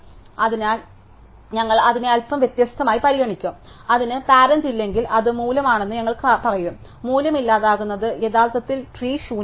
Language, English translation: Malayalam, So, we will treat that slightly differently, so we will say that if it has no parent that is it is the root, then deleting the value actually makes it tree empty